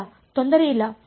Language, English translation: Kannada, No there is no problem